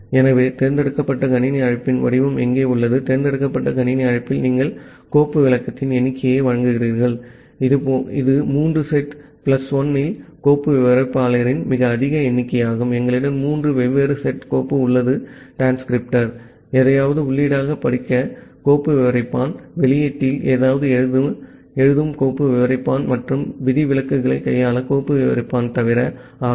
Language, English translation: Tamil, So, here is the format of the select system call, in the select system call you are providing the number of file descriptor, it is the highest number of file descriptor in any of the three sets plus 1, we have three different sets of file descriptor, the read file descriptor to read something as an input, the write file descriptor to write something at the output and except file descriptor to handle the exceptions